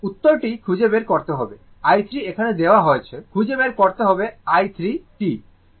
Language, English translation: Bengali, The answer you have to find out find i 3 here it is given find i 3 t